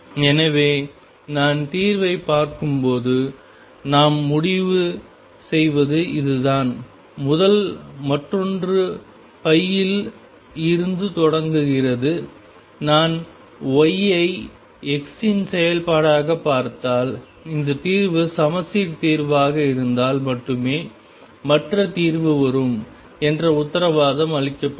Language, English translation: Tamil, So, what we conclude when I look at the solution this is the first one, the other one starts from pi; and if I look at that y is a function of x this solution is guaranteed the other solution comes only if symmetric solution